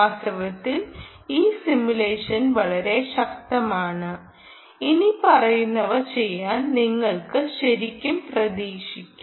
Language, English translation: Malayalam, ok, in fact, this simulation is so powerful that you can actually look forward to do the following